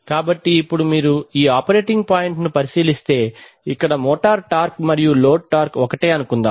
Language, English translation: Telugu, So now if you consider this operating point then, suppose here the motor torque and the load torque are same